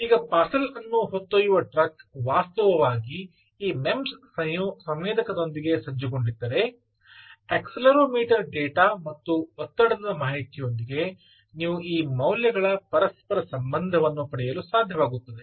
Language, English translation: Kannada, now, if that truck carrying the parcel actually is equip with this mems sensor ah, ah the accelero, ah the accelerometer data, along with the pressure information, ah, you should be able to get some sort of correlation of these values